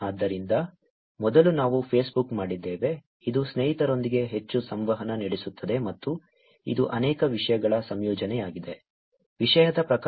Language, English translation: Kannada, So, first we did Facebook, which is kind of more interactions with friends and it is a combination of many things, type of content